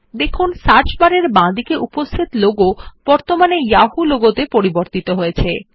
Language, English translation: Bengali, We observe that the logo on the left of the search bar has now changed to the Yahoo logo